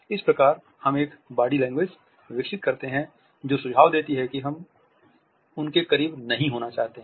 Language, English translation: Hindi, We develop a body language which suggest that we do not want to be close to them